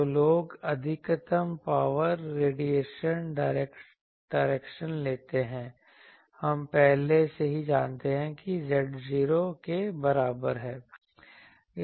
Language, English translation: Hindi, So, what people do that the maximum power radiation direction we already know that is z is equal to 0